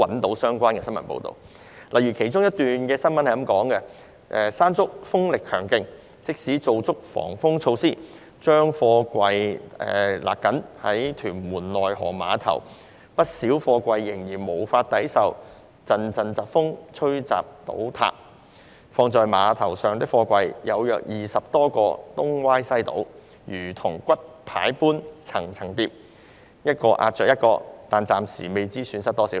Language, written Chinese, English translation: Cantonese, 當時有這一則報道："'山竹'風力強勁，即使做足防風措施，將貨櫃繫緊，屯門內河碼頭不少貨櫃仍然無法抵受陣陣疾風吹襲倒塌......放在碼頭上的貨櫃，有約20多個東歪西倒，如同骨牌般'層層疊'，一個壓着一個，但暫未知損失多少。, At the time a news report read Due to the strong wind associated with Typhoon Mangkhut many container stacks at the Tuen Mun River Trade Terminal have toppled as they are unable to withstand the gust wind even though they have been tightly lashed together as a precautionary measure Around 20 containers at the dockside have become dislodged and fallen against one another like domino chips . But the loss has yet to be ascertained